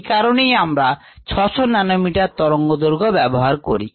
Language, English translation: Bengali, that's a reason why we used about six hundred nanometres